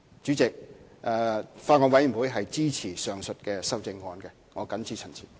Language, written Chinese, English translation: Cantonese, 主席，法案委員會支持上述的修正案，我謹此陳辭。, Chairman the Bills Committee supports the above amendments I so submit